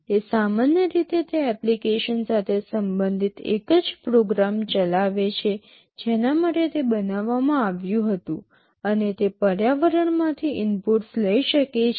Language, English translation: Gujarati, It typically it executes a single program related to the application for which it was built, and it can take inputs from the environment